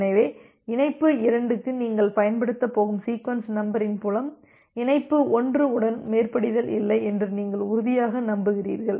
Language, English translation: Tamil, So, that you became sure that well the sequence number field that you are going to use for connection 2 that does not have a overlap with connection 1